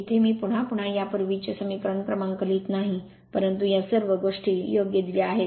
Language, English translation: Marathi, Here no again and again I am not writing those previous equation number, but all these things are been given right